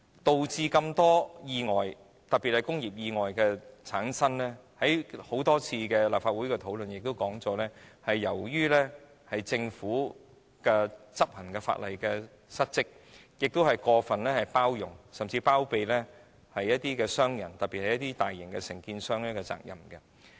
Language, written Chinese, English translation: Cantonese, 多宗意外發生，正如大家在多次立法會的討論中已說明，是由於政府執行法例失職及過分包容甚或包庇商人，特別是大型承建商。, As explained many times by Members during discussions in the Legislative Council many accidents especially industrial accidents happen because the Government is lax in law enforcement and over - tolerates or even harbours businessmen especially large contractors